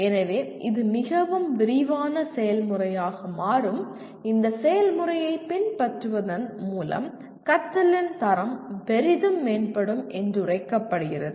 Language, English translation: Tamil, So, this becomes a fairly elaborate process and by following this process it is felt that the quality of learning will greatly improve